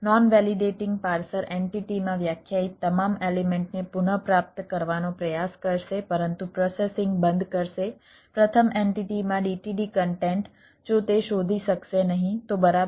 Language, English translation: Gujarati, non validating parser will try to retrieve all elements defined in the entity but will cease processing the d t d content in the first entity if it cant find